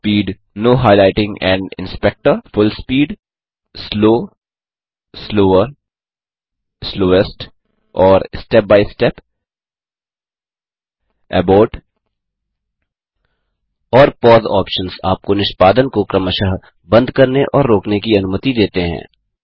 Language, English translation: Hindi, Full speed, Full speed, Slow, Slower, Slowest and Step by Step Abort and pause options allow you to stop and pause the executions respectively